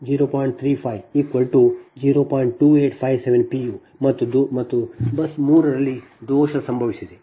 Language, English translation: Kannada, and fault has occurred at bus three